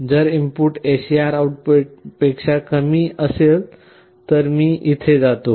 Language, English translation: Marathi, If the if the input is less than that the SAR output; then I go here